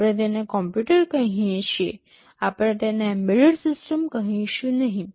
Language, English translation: Gujarati, We call it a computer, we do not call it an embedded system